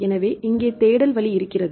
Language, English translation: Tamil, So, here this is the search option available